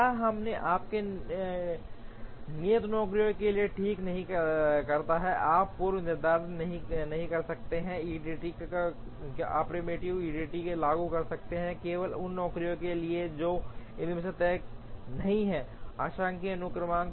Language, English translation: Hindi, Here, we have to fix you cannot for the fixed jobs, you cannot apply the preemptive EDD, you can apply the preemptive EDD, only for the jobs that are not fixed in the partial sequence